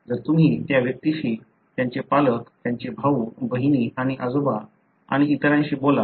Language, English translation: Marathi, So, you talk to that individual, their parents, their brothers, sisters and grand parents and so on